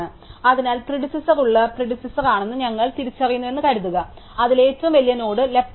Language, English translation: Malayalam, So, supposing we identify it is predecessor with predecessor remember will be the biggest node a maximum in it is left sub trees